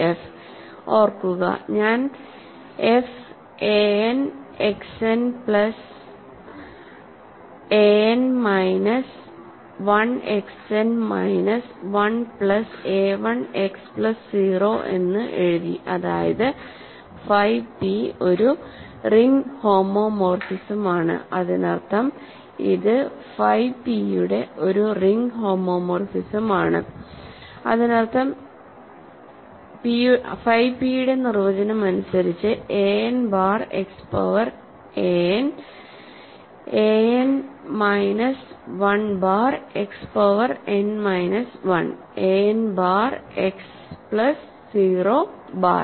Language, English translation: Malayalam, f remember, I have written f as a n X n plus a n minus 1 X n minus 1 plus a 1 X plus a 0 that means, because phi p is a ring homomorphism, this means this is a phi p by definition of phi p rather this is a n bar X power n, a n minus 1 bar X power n minus 1, a n bar X plus a 0 bar, right